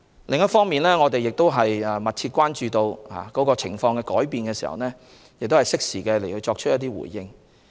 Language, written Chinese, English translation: Cantonese, 另一方面，我們亦密切關注情況的變化，適時作出回應。, Besides we also pay close attention to changes in circumstances and make timely responses